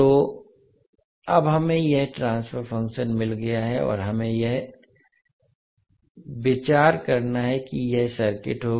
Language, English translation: Hindi, So now we have got this transfer function and we have the idea that this would be circuit